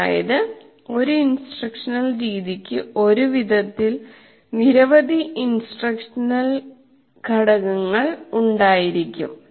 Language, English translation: Malayalam, That means, an instructional method will have several instructional components organized in one particular way